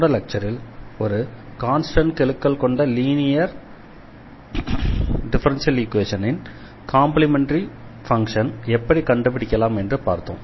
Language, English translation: Tamil, So, in the last lecture, we have already seen that how to get complementary function of the differential equation of the linear differential equation with constant coefficient